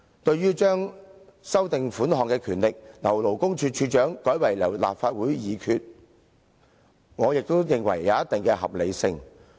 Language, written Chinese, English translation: Cantonese, 至於修訂有關款項的權力，由原屬勞工處處長，改為由立法會藉決議行使，我亦認為有一定合理性。, Regarding the proposal to empower the Legislative Council to amend the amount of the further sum by resolution instead of by the Commissioner for Labour I think it is also quite reasonable